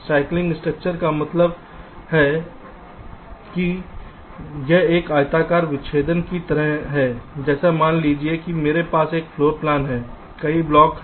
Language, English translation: Hindi, slicing structure means it is like a rectangular dissection, like, let say, suppose i have a floor plan, say there are many blocks